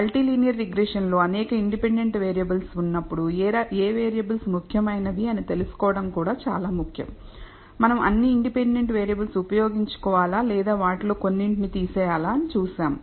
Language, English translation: Telugu, When we have several independent variables in multilinear regression we will see that it is also important to find out which variables are significant, whether we should use all the independent variables or whether we should discard some of them